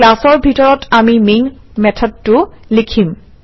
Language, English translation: Assamese, Inside the class, we write the main method